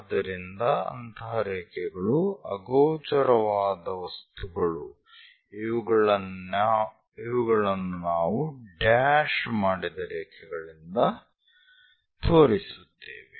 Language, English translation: Kannada, So, such kind of lines invisible things, but still present we show it by dashed lines